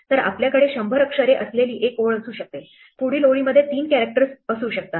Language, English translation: Marathi, So, we could have a line which has 100 characters, next line could have 3 characters and so on